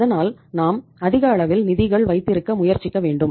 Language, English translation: Tamil, So we should try to have larger amount of the funds